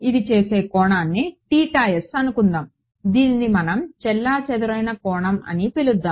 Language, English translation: Telugu, This is the angle it makes theta s let us call it scattered angle